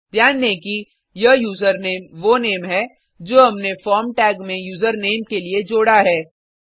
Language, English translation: Hindi, Note that this userName is the name we have included in the form tag for User Name